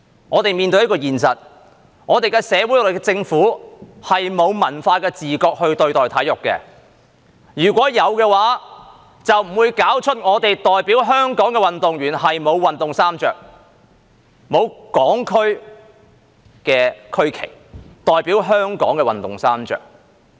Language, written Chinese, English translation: Cantonese, 我們面對一個現實，那就是我們的社會、政府是沒有文化的自覺對待體育，如果有，就不會搞出代表香港的運動員沒有運動衣穿，沒有港區的區旗、代表香港的運動衣穿。, The reality which we are facing is that our society and Government do not have cultural awareness towards sports . If they did there would not be no jersey representing Hong Kong and having Hong Kongs regional flag for the athletes who represent Hong Kong to wear